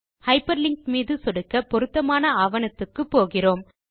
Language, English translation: Tamil, Now clicking on the hyperlinked text takes you to the relevant document